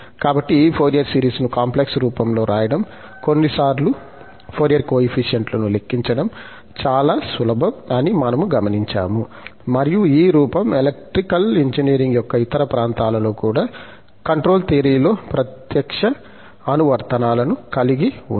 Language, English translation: Telugu, So, what we have observed that writing this Fourier series in complex form has its, sometimes, it is simple to compute the Fourier coefficients, for example, and this form has also direct applications in the control theory also, in other area of electrical engineering